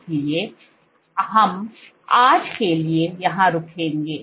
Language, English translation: Hindi, So, we will stop here for today